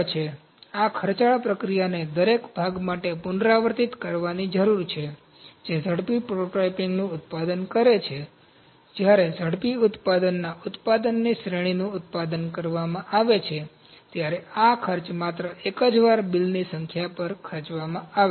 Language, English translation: Gujarati, So, this expensive process needs to be repeated for each part that is manufacturing rapid prototyping, this cost is incurred only once the multitude of bills, when series of production of rapid manufacture is produced